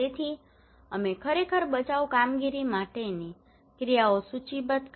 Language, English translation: Gujarati, So we actually listed down the actions for rescue operations